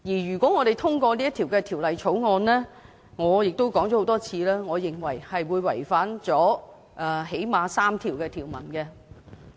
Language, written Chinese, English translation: Cantonese, 如果我們通過《條例草案》——而我亦說過很多遍了——我認為會違反《基本法》內最少3項條文。, If we pass the Bill―and I have said this many times―I believe we will violate at least three provisions of the Basic Law